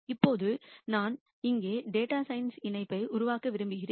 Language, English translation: Tamil, Now, I just want to make a connection to data science here